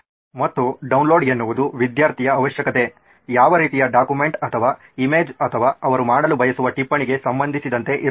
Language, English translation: Kannada, And download would be with respect to the requirement of a student, what kind of a document or a image or a note they want to download